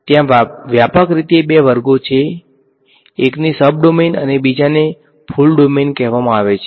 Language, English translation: Gujarati, There are broadly two classes one are called sub domain and the other are called full domain